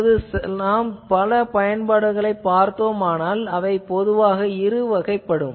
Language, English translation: Tamil, Now, so if we see various applications, there are basically two types of application